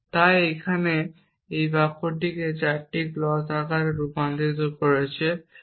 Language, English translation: Bengali, So, I converted this 4 sentences into clause form here